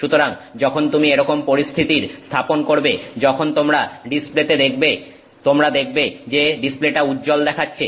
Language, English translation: Bengali, So, when you set up this situation, when you look at the display, you see the display as bright